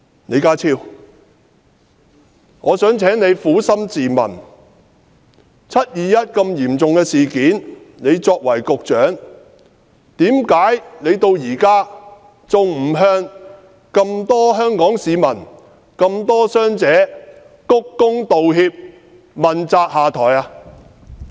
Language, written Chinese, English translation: Cantonese, 李家超，我想請你撫心自問，發生"七二一"如此嚴重的事件，你作為局長，為何至今還不向眾多的香港市民及眾多的傷者鞠躬道歉，問責下台？, John LEE please answer earnestly . After such a serious incident on the 21 of July why havent you as the Secretary for Security bowed and apologized to large number of Hong Kong people and large number of injured persons? . Why havent you taken the responsibility and stepped down?